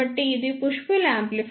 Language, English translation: Telugu, So, this is a push pull amplifier